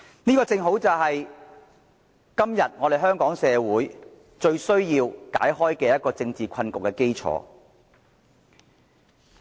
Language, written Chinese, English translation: Cantonese, 這正正是香港社會要解開今天的政治困局最需要的基礎。, This is rightly the foundation most needed by the community of Hong Kong in breaking the deadlock today